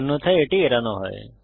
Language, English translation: Bengali, It is skipped otherwise